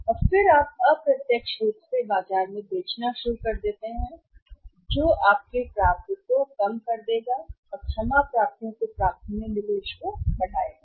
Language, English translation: Hindi, And then you start selling in the market indirectly what happens your receivables will go down sorry receivables go up investment in the receivables will increase